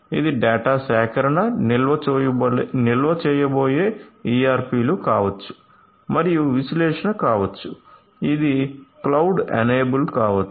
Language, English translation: Telugu, So, this may be the ERPs which is going to do the data collection, storage and may be analysis and this could be even cloud enabled